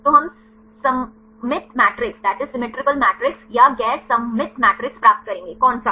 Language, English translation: Hindi, So, we will get the symmetrical matrix or the non symmetrical matrix which one